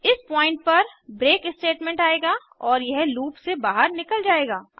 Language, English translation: Hindi, At this point, it will encounter the break statement and break out of the loop